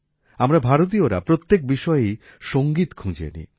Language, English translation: Bengali, We Indians find music in everything